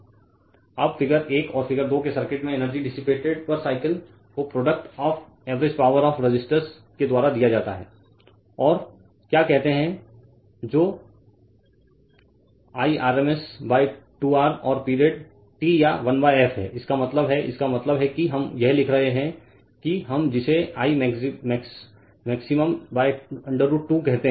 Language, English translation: Hindi, Now, now the energy dissipated per cycle in the circuit of figure 1 and figure 2 is given by the product of the average power of the resistor and a your what you call that is your Irms square r and the period T or 1 f; that means, that means this is we are writing I your what we call I max by root 2